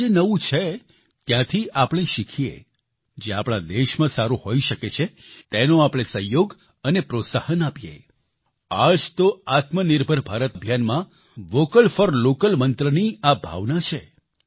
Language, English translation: Gujarati, Wherever there is anything new, we should learn from there and then support and encourage what can be good for our countryand that is the spirit of the Vocal for Local Mantra in the Atmanirbhar Bharat campaign